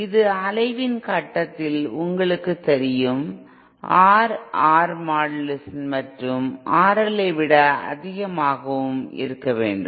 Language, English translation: Tamil, And this you know at the point of oscillation you have to have your R in a modulus of R in greater than R L